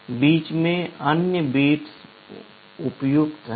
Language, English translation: Hindi, The other bits in between are unused